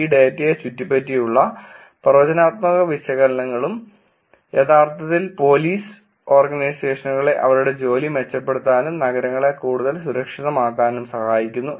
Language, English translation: Malayalam, Predictive analytics around this data and actually helping Police Organizations make their job better, make cities more safer